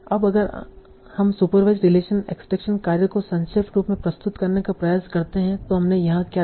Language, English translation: Hindi, So now if we try to summarize the supervised solution extraction task what we did here